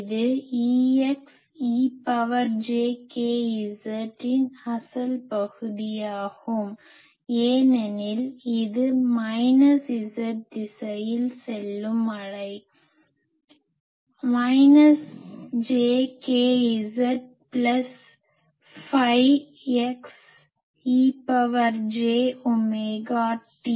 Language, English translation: Tamil, It is the real part of E x e to the power j k z because it is a wave going into minus z direction; minus j k Z plus phi x E to the power j omega t